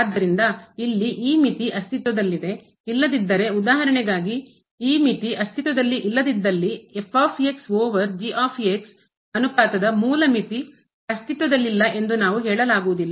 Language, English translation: Kannada, So, this limit here exist otherwise for example, this limit does not exist we cannot claim that the original limiter here of the ratio over does not exist